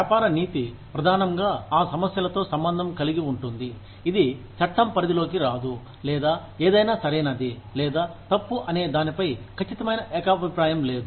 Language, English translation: Telugu, Business ethics is primarily concerned, with those issues, not covered by the law, or where there is no definite consensus on, whether something is right or wrong